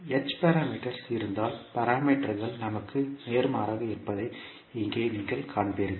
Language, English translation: Tamil, So here you will see the parameters are opposite to what we had in case of h parameters